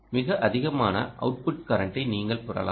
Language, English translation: Tamil, here you will have the output current